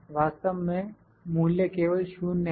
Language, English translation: Hindi, Actually the value is 0 only